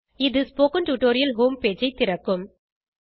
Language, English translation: Tamil, This will open the spoken tutorial home page